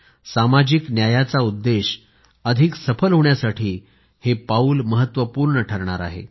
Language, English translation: Marathi, This step will prove to be the one to move forward our march towards achieving the goal of social justice